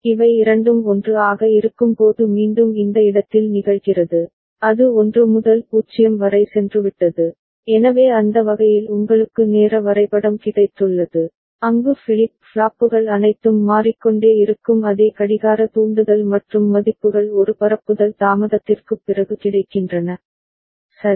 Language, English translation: Tamil, Again it occurs in this place when both of them are 1, it has gone from 1 to 0, so that way you have got the timing diagram, where the flip flops are all changing at the same clock trigger and the values are available after one propagation delay, right